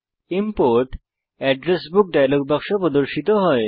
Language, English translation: Bengali, The Import Address Book dialog box appears